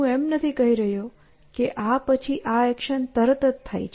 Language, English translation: Gujarati, So, I am not saying that this action happens immediately after this